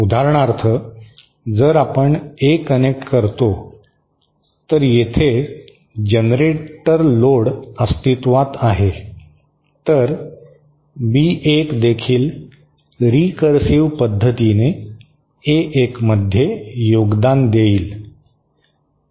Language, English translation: Marathi, For example, if we connect a, there is a generator load present here, then B1 will also contribute to A1 in a recursive manner